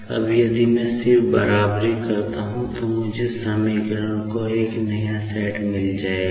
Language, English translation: Hindi, Now, if I just equate, I will be getting a set of equations